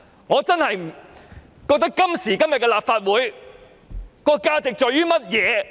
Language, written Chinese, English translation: Cantonese, 我真的想問今時今日的立法會的價值是甚麼？, I truly wish to ask what is the value of the Legislative Council nowadays?